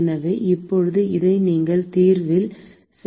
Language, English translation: Tamil, And so now we can plug this into our solution